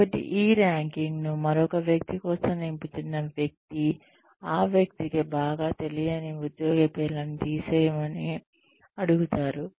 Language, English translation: Telugu, So, the person, who is filling up this ranking for another person, is asked to cross out the names of any employee, who this person does not know very well